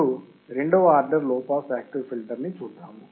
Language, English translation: Telugu, Now, let us see second order low pass active filter